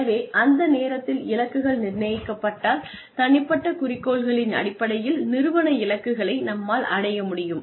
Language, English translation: Tamil, So, at that point of time, if the goals are set, in terms of personal goals, and in terms of the organizational goals, that need to be achieved